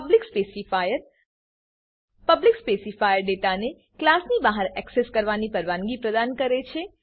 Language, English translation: Gujarati, Public specifier The public specifier allows the data to be accessed outside the class